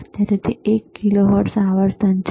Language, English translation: Gujarati, Right now, it is one kilohertz frequency,